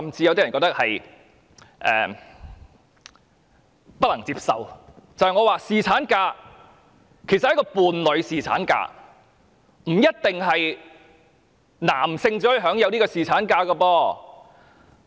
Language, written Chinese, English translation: Cantonese, 我認為侍產假，其實是一個伴侶侍產假，不一定是男性才可以享有侍產假。, In my view paternity leave is actually a kind of leave for a partner and it is not necessarily to be enjoyed only by males